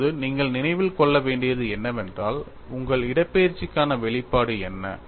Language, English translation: Tamil, Now, what you will have to remember is what is the expression for your displacement